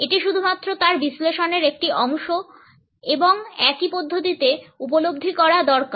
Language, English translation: Bengali, It is a part of his analysis only and has to be perceived in the same manner